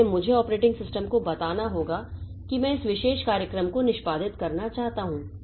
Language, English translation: Hindi, So, I have to tell the operating system, see, I want to execute this particular program